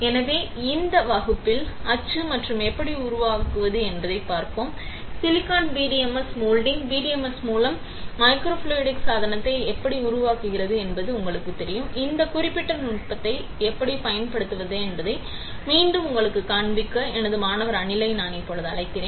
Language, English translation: Tamil, So, in this class, we will see the mould and how to create the; you know silicon PDMS moulding, how to fabricate microfluidic device with PDMS and the; I will invite now my student Anil to again show it to you, how to use this particular technique, right